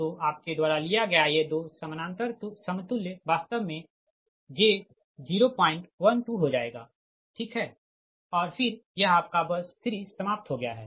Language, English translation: Hindi, so these two parallel equivalent you take, it will become actually j point one, two, right, and then this, these, your what you call